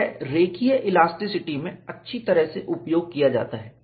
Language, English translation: Hindi, That is well utilized in linear elasticity